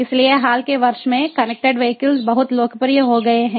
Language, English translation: Hindi, so connected vehicles has become very popular in the recent years